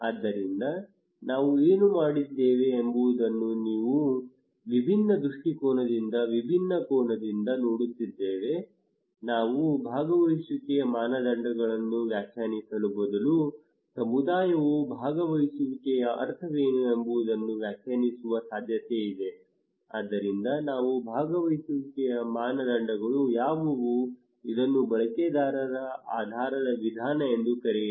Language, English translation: Kannada, So what we did we are looking this thing from a different angle from a different perspective we are saying that instead of we define the criteria of participation is possible that community themselves will define what is the meaning of participations what are the criterias of participations so we call this is user based approach